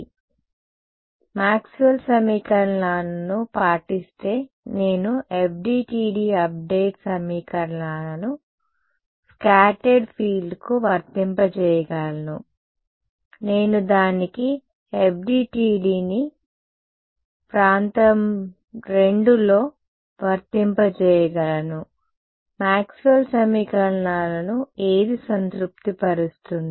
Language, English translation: Telugu, So, what no I can apply FDTD update equations to scattered field right if it obeys Maxwell’s equations I can apply FDTD to it in region II what satisfies Maxwell’s equations